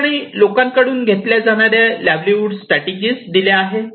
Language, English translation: Marathi, Here are the livelihood strategies people can take